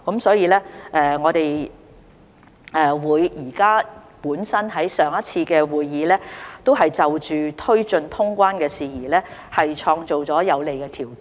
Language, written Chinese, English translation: Cantonese, 所以，我們在上一次會議已就推進通關的事宜創造了有利條件。, Thus at the last meeting we created favourable conditions to take forward the resumption of quarantine - free travel